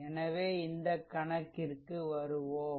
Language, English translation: Tamil, So, let us come to this problem right